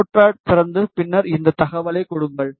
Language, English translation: Tamil, Just open the notepad and then just give this information